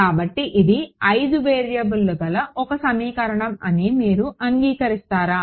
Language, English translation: Telugu, So, will you agree that this is one equation in 5 variables